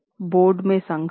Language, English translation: Hindi, There was conflict in the board